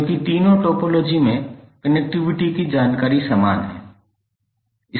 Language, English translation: Hindi, Why because the connectivity information in all the three topologies are same